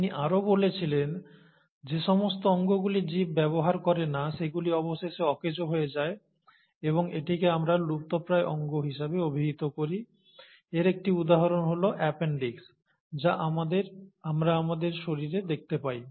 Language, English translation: Bengali, And, he also reasoned that those organs which are not being used by the organisms will eventually become useless and that is what we call as the vestigial organs, and one of the examples is the appendix that we see in our body